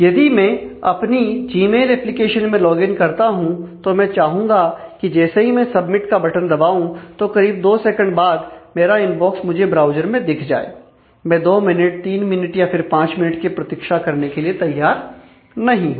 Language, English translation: Hindi, So, if I log in to my Gmail application, and I would expect that as soon as I press the submit button with a couple of seconds, my inbox will be displayed on my browser, I am not ready to wait for 2 minutes, 3 minutes, 5 minutes for doing that